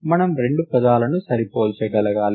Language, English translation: Telugu, We need to be able to compare two words